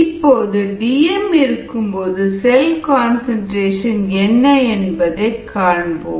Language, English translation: Tamil, now let us look at the cell concentration at d m